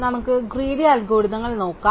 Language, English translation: Malayalam, Let us take another look at greedy algorithms